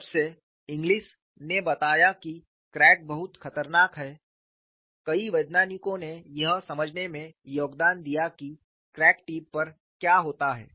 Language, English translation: Hindi, Ever since Inglis pointed out cracks are very dangerous, several scientists have contributed in understanding what happens at the crack tip